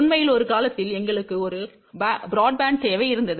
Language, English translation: Tamil, In fact, at one time, we had a one very broad band requirement